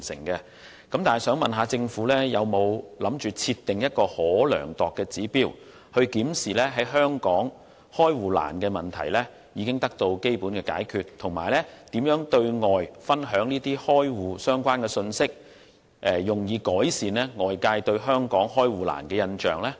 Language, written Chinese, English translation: Cantonese, 不過，我想問局長，當局有否打算設定一個可量度的指標，用以檢視香港開戶困難的問題基本上已得到解決，以及當局會如何對外分享這些有關開戶的信息，以改善外界對香港開戶困難的印象呢？, However may I ask the Secretary whether the authorities plan to set a measurable target to assess if difficulties in opening bank accounts have been addressed generally and how the authorities will share the information on account opening to outsiders so as to change the latters impression that it is difficult to open bank accounts in Hong Kong?